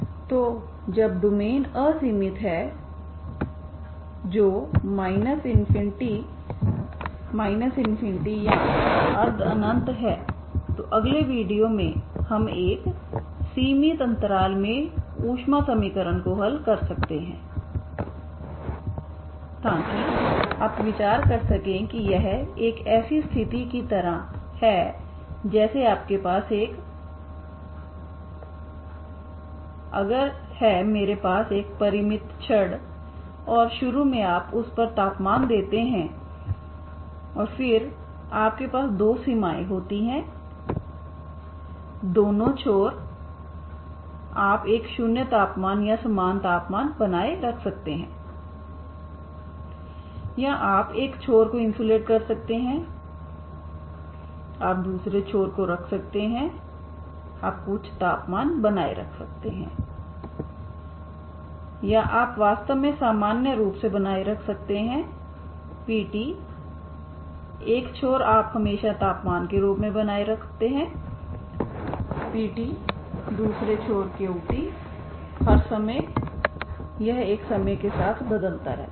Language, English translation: Hindi, So when the domain is unbounded that is minus infinity infinity or semi infinite, so in the next video we can have we can solve the heat equation in a finite interval so that is you can consider that is like a situation like you have a infinite if I have a finite rod and is initially you give the temperature on it you and then you have a two boundaries both the ends you can maintain a 0 temperature or same temperature or you can insulate one end you can keep other end you can keep maintain some temperature or you can actually in general you can maintain P of t one side P of t one end you always maintain as a temperature as P of t other end Q of t for all times it is varying over a time, okay